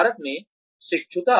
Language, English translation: Hindi, Apprenticeship in India